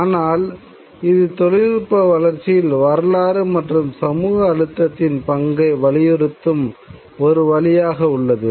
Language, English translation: Tamil, But it is a way of emphasizing the role of history and social forces in development of technology